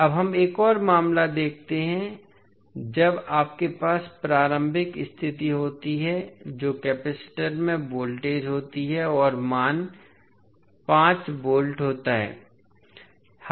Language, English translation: Hindi, Now, let us see another case, when you have the initial condition that is voltage V across the capacitor and the value is 5 volts